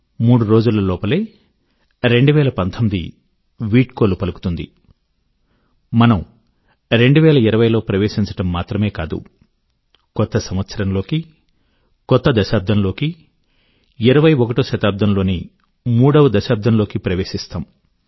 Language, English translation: Telugu, In a matter of just 3 days, not only will 2019 wave good bye to us; we shall usher our selves into a new year and a new decade; the third decade of the 21st century